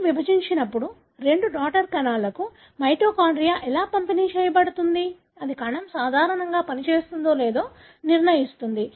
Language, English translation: Telugu, When the cell divides, how the mitochondria is distributed to the two daughter cells that determines whether the cell would function normally or not